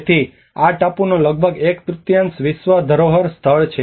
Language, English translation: Gujarati, So almost one third of this island is under the world heritage site